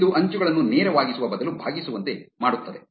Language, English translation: Kannada, This will make the edges curved instead of straight